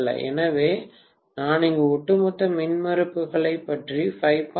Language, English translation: Tamil, So I am basically talking about the overall impedances 5